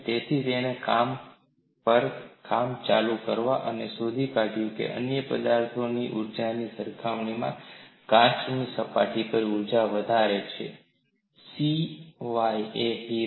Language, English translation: Gujarati, So, he worked on glass and he find glass has the highest surface energy compared to other materials excluding diamond